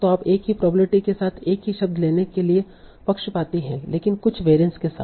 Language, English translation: Hindi, So you are biased to take same words with same probability but with certain variance